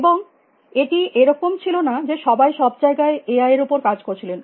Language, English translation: Bengali, And it is not as a everybody everywhere was working on AI